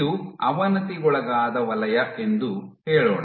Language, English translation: Kannada, Let us say this is the degraded zone